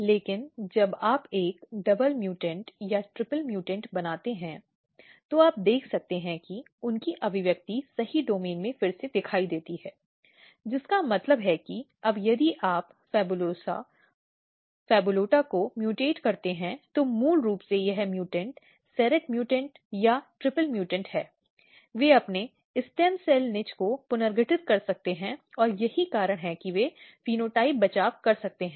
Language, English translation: Hindi, But when you combine, when you make a double mutant, triple mutants, what you can see that they reappear their expression domain reappear in a right domain which means that now if you mutate PHABULOSA, PHABULOTA , there basically this mutant the serrate mutant or the triple mutant, they can reorganize their stem cell niche root stem cells niche and that is why they can rescue the phenotype